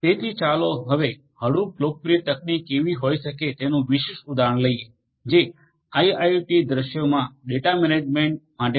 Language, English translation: Gujarati, So, let us now take a specific example of how Hadoop a popular technology could be used for data management in IIoT scenarios